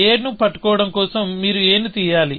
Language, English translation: Telugu, To be holding a, you must pick up a